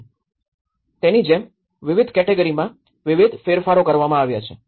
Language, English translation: Gujarati, So, like that, there has been a variety of changes from different categories